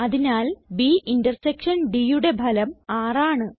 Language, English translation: Malayalam, So the result of B intersection D is 6